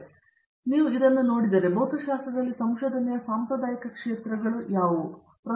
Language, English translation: Kannada, So, if you look at it now, what would you call as traditional areas of research in physics